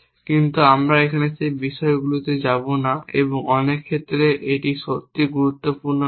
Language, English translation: Bengali, But we will not go into those things here and in many case it does not really matter